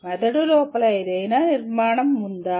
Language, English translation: Telugu, Is there any structure inside the brain